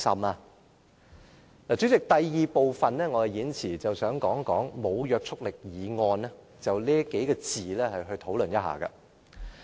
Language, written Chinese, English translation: Cantonese, 代理主席，我想在演辭的第二部分，就"無約束力議案"幾個字討論一下。, Deputy President I wish to discuss the term a motion with no legislative effect in the second part of my speech